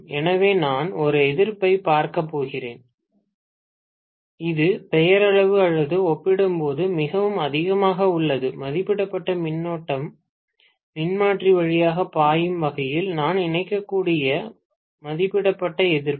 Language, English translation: Tamil, So, I am going to look at a resistance which is way too high as compared to the nominal or rated resistance that I may connect, such that the rated current flows through the transformer